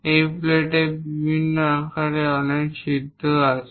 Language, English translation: Bengali, There are many holes of different sizes